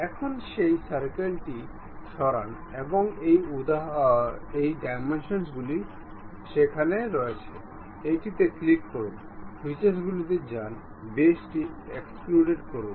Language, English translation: Bengali, Now, remove that circle oh its dimensions are there; click this, go to features, extrude boss base